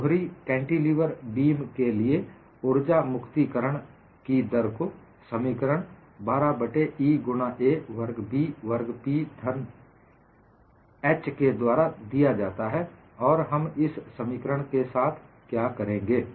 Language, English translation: Hindi, The energy release rate for a double cantilever beam specimen is 12 by E into a squared by B squared into P squared by h cube, and what we would do with this expression